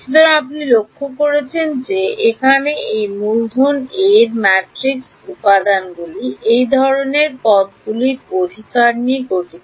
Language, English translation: Bengali, So, you notice that your matrix elements over here these capital A’s are consisting of these kinds of terms right